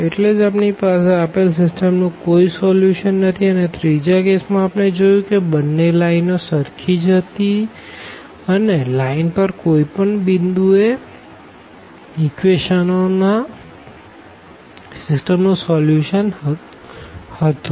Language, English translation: Gujarati, And hence we do not have any solution to the given system whereas, the third case we have seen that that the both lines were basically the same and then any point on the line was the solution of the system of equation